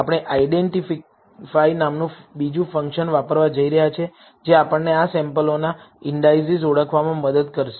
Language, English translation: Gujarati, We are going to use another function called identify, that will help us identify the indices of these samples